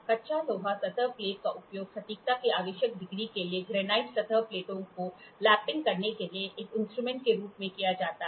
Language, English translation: Hindi, The cast iron surface plate is used as a tool for lapping granite surface plates to the required degree of accuracy